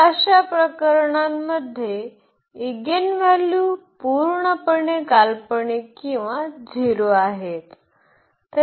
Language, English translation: Marathi, So, for those cases the eigenvalues are purely imaginary or 0 again